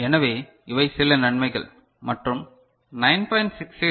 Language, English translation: Tamil, So, these are certain advantages and instead of 9